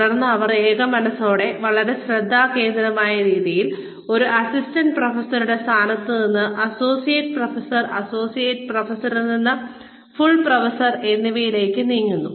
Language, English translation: Malayalam, And then, they single mindedly, in a very focused manner, move from, say, the position of an assistant professor to associate professor, associate professor to full professor